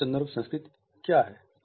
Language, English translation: Hindi, What is high context culture